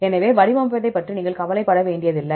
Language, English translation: Tamil, So, you do not have to worry about formatting